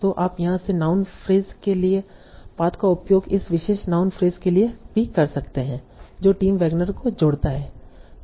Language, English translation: Hindi, So you can use the path from here for noun phase to this particular noun phase that connects Tim Wagner